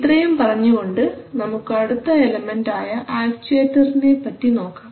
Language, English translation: Malayalam, So having said that let us look at the next element which is actuators